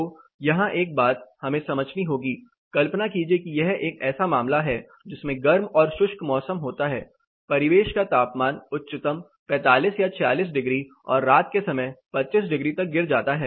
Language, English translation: Hindi, So, here one thing we have to understand, imagine this is a case with hard and dry climates the ambient temperature may go as highest say 45 or 46 degree and the night time temperatures drops to 25 degrees